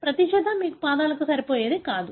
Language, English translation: Telugu, It is not that every pair fits your foot